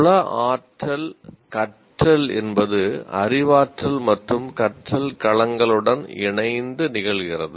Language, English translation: Tamil, And psychomotor learning occurs in combination with cognitive and affective domains of learning